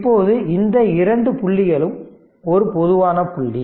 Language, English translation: Tamil, Now, this two these two point is a common point